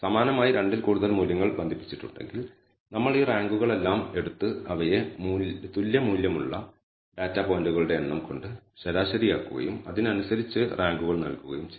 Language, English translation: Malayalam, Similarly if there are more more than 2 values which are tied we take all these ranks and average them by the number of data points which have equal values and correspondingly you have to in the rank